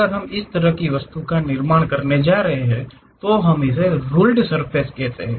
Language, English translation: Hindi, If we are going to construct such kind of object that is what we called ruled surface